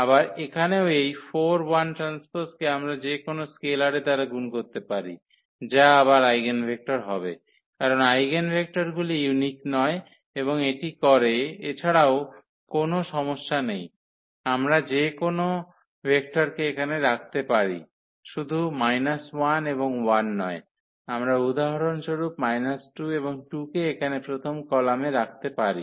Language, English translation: Bengali, Again here also this 4 1 we can multiply by any scalar that will also be the eigenvector, because eigenvectors are not unique and by doing so, also there is no problem we can keep any vector here not only minus 1 and 1, we can also place for example, minus 2 and 2 here in the first column